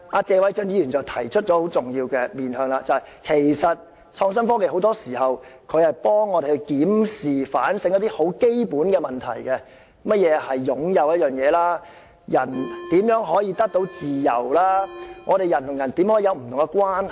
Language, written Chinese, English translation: Cantonese, 謝偉俊議員提出了很重要的面向，就是創新科技很多時候幫助我們檢視和反省一些很基本的問題，例如何謂"擁有"一件物品、人如何可以得到自由、人與人之間怎樣建立不同關係等。, Mr Paul TSE has mentioned a very important facet which is innovation and technology often helps us examine and review some very basic questions such as what owning an object means how humans can gain freedom how different relationships can be built among people etc